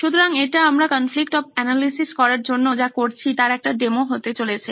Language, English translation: Bengali, So that’s going to be the demo part of what we are doing for the conflict of analysis for this